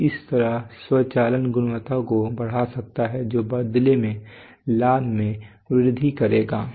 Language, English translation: Hindi, So in this way automation can enhance quality which will in turn enhance profit